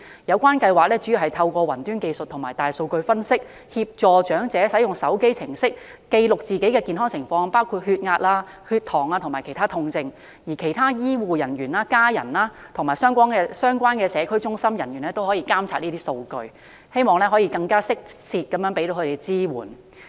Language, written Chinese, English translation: Cantonese, 有關計劃主要透過雲端技術和大數據分析，協助長者使用手機應用程式記錄自己的健康情況，包括血壓、血糖指數及其他痛症，而醫護人員、家人及相關社區中心工作人員亦可以監察上述數據，藉此提供更適切的支援。, The project works on cloud technologies and big data analysis to assist the elderly in using a mobile application for recoding their health conditions such as blood pressure Glycemic Index readings and various pain symptoms . Healthcare personnel family members and staff of the relevant community centres can monitor the above data and provide appropriate assistance